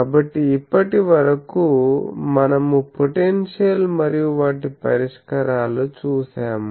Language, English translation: Telugu, So, we have seen these potentials their solutions